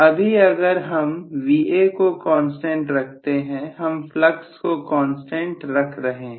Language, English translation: Hindi, Now if I am keeping Va as a constant, I am keeping flux as a constant